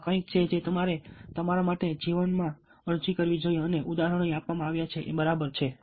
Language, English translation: Gujarati, ok, so this is something which you should apply for yourself, and examples have been given over here